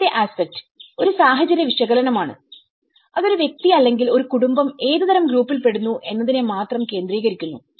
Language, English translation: Malayalam, The third aspect, which is a situational analysis, it focuses just on what kind of group a person or a family belongs to